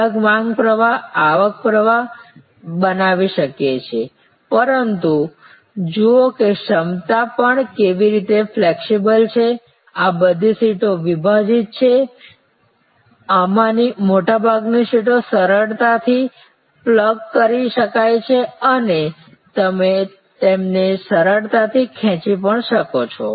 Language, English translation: Gujarati, Creating different demands streams, but different revenue streams, but look at how the capacity also is flexible, these seats are all like cartridges, most of these seats are readily pluggable or you can easily pull them out